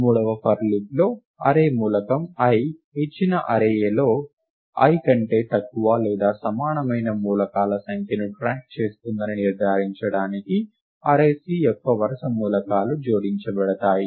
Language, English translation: Telugu, In the third for loop, the consecutive elements of the array C are added to ensure that, the array element i keeps track of the number of elements of value less than or equal to i in the given array A